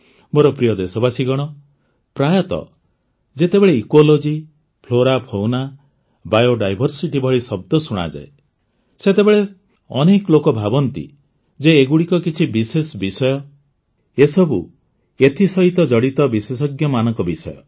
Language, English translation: Odia, Many a time, when we hear words like Ecology, Flora, Fauna, Bio Diversity, some people think that these are specialized subjects; subjects related to experts